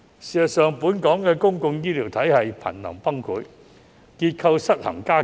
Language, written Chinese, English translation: Cantonese, 事實上，本港公共醫療體系頻臨崩潰，結構失衡加劇。, As a matter of fact the public healthcare system in Hong Kong is on the verge of collapse and its structural imbalance is aggravating